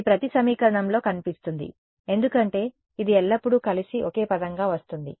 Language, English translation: Telugu, This is what appears in every equation, will appear in every equation because it always comes as one term together